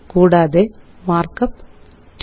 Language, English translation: Malayalam, And the markup is: 2